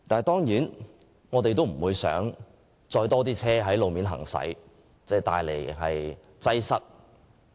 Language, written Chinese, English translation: Cantonese, 當然，我們不想看見有更多車輛在路面行駛，造成道路擠塞。, We certainly do not want to see more vehicles on roads as they will cause traffic congestion